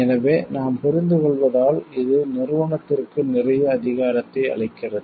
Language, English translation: Tamil, So, because we understand this gives a lots of power to the organization